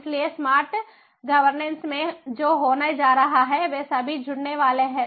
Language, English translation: Hindi, so in a smart governance, what is going to happen is they all are going to get connected